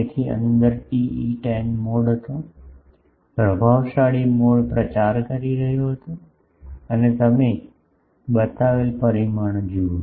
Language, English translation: Gujarati, So, inside there was TE 10 mode, dominant mode was propagating and you see the dimensions etc